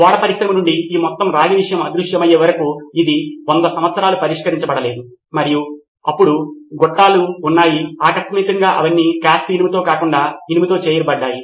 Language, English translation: Telugu, So this remained unsolved for a 100 years till this whole copper thing vanished from the ship industry and suddenly there were pipelines and those are all made of cast iron or iron rather iron